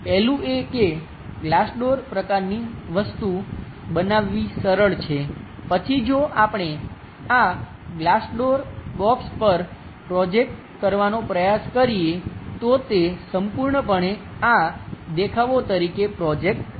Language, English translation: Gujarati, The first one is maybe it is easy to construct a glass door kind of thing, then if we are trying to project on to this glass doors box method, this entire thing projects onto this views